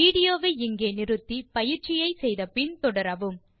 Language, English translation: Tamil, Pause the video here, try out the following exercise and resume